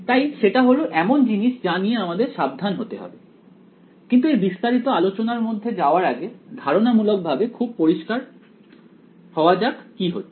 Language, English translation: Bengali, So, that something that we have to be careful about, but before we get into those details is let us be conceptually very clear what is happening